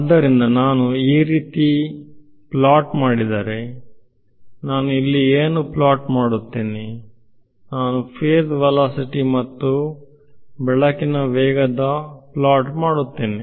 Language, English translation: Kannada, So, if I plot something like this; so, what will I plot over here, let me plot the ratio of the phase velocity to speed of light ok